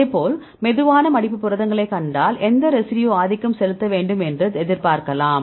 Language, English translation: Tamil, Likewise if you see the slow folding proteins what do you expect which residue should be dominant